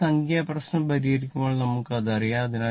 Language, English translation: Malayalam, Later, when we solve the numerical you will know that